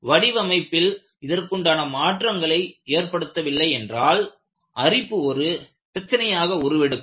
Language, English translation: Tamil, If you do not take such modifications in the design, corrosion is going to be a problem